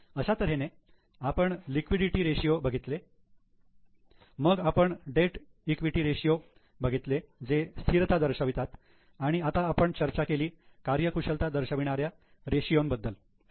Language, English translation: Marathi, Then we have also discussed the ratios like debt equity, which were about stability, and now we have discussed the ratios on efficiency